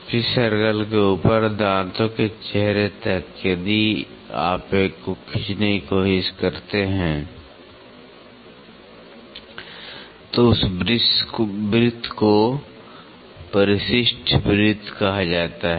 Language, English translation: Hindi, Top of the pitch circle up to the face of the teeth, if you try to draw one so, that circle is called as addendum circle